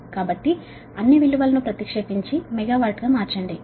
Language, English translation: Telugu, so substitute all the value and convert it to megawatt